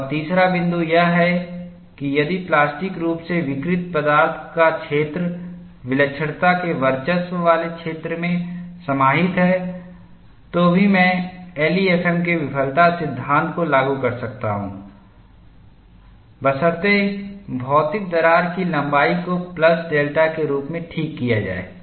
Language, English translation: Hindi, And the third point is, if the region of plastically deformed material is contained within the singularity dominated zone, I can still apply the failure law of LEFM provided the physical crack length is corrected as a plus delta